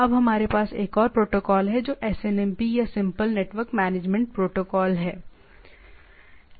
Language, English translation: Hindi, Now let us have another protocol that SNMP or Simple Network Management Protocol